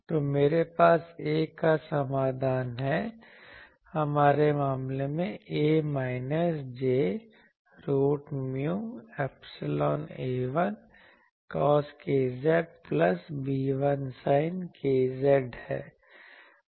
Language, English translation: Hindi, So, also I have the solution of A that A is in our case is minus j root over mu epsilon A 1 cos k z plus B 1 sin k z